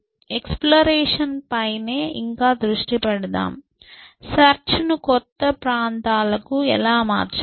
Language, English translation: Telugu, So, the focus is still on exploration, how can we make the search go onto newer areas